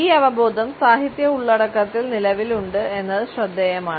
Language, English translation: Malayalam, It is interesting to note that this awareness has existed in literary content